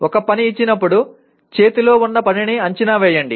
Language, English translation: Telugu, Given a task, assess the task at hand